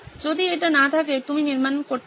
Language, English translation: Bengali, If it is not there, you can build